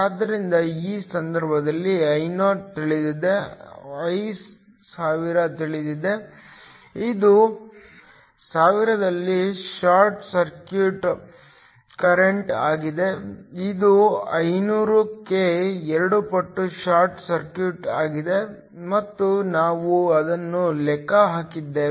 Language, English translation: Kannada, So, in this case, Io is known, I1000 is known, this is the short circuit current at thousand which is 2 times the short circuit at 500, and we just calculated it